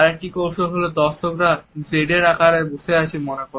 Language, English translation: Bengali, Another trick is to think of the audience as sitting in a Z formation